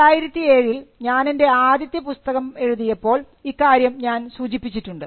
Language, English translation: Malayalam, Now, I had mentioned this when I wrote my first book in 2007